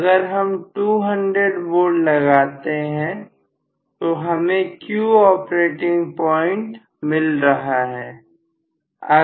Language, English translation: Hindi, If I apply say, 200 volt, I am going to get the operating point as Q